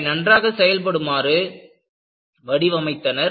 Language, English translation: Tamil, They had design, so that, it functions well